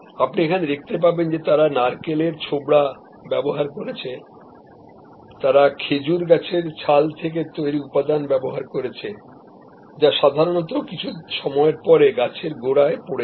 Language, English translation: Bengali, If you can see here, they have used coconut husks, they have used material drawn from a palm tree barks which usually falls down at the base of the tree after some time